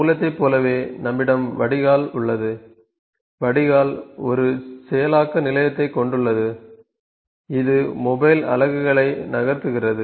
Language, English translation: Tamil, So, similar to source we have drain, so the drain has a single processing station, it moves the mobile units